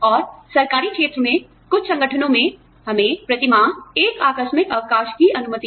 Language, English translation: Hindi, And, in the government sector, in some organizations, we are allowed, one casual leave per month